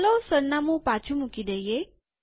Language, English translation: Gujarati, Let us put the address back